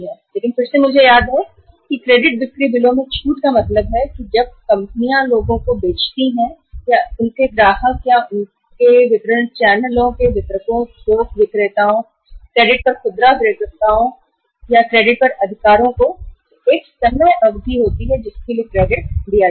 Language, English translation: Hindi, But again I recall discounting of the credit sale bills means when the firms sell to the people or to their customers or to their distribution channels distributors, wholesalers, or retailers on credit right on credit